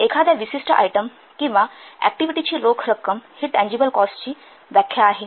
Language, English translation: Marathi, An outlay of the cash for a specific item or activity is referred to as a tangible cost